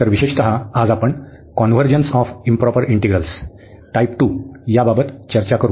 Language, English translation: Marathi, So, in particular we will discuss today the convergence of improper integrals of type 2